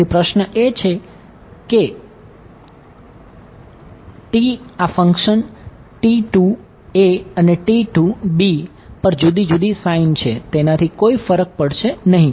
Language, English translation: Gujarati, So, the question is that T these 2 functions T a 2 and T b 2 they have a different sign on the edge it will not matter